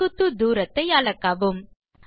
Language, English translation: Tamil, Measure perpendicular distances